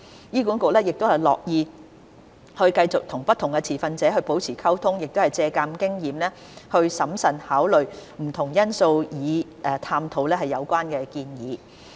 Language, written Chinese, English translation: Cantonese, 醫管局樂意繼續與不同持份者保持溝通並借鑒經驗，審慎考慮不同因素以探討有關建議。, HA stays open and maintains communications with different stakeholders and learn from their experience and will carefully consider various factors to explore the feasibility of collaboration